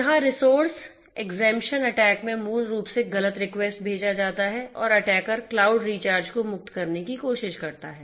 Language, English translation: Hindi, Resource exemption attack here basically false requests are sent and the attacker tries to exempt the cloud resources